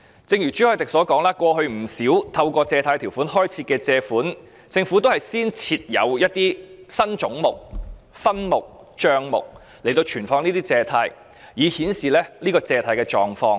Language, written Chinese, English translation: Cantonese, 正如朱凱廸議員所說，過去不少透過《借款條例》開設的借款，政府均先設立新總目、分目和帳目來存放這些借款，以顯示借款的狀況。, As Mr CHU Hoi - dick has said as regards many loans taken out under the Loans Ordinance in the past the Government established new heads subheads and accounts for holding such borrowed sums so as to indicate the status of the loans